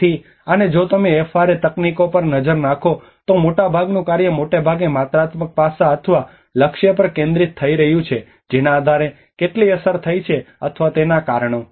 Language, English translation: Gujarati, So and if you look at FRA techniques much of the work has been mostly focused on the quantitative aspects or the target based on how much has been impacted or the cause of them